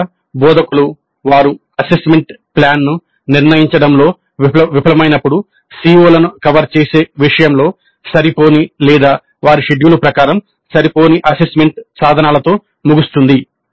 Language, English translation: Telugu, Often the instructors when they fail to determine the assessment plan may end up with assessment instruments which are inadequate in terms of covering the COs or inadequate in terms of their schedule